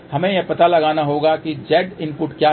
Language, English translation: Hindi, We need to find what is Z input